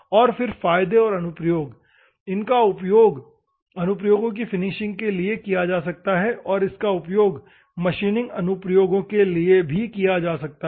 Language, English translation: Hindi, And, advantages and applications, these can be used for finishing applications, and it can also use for the machining applications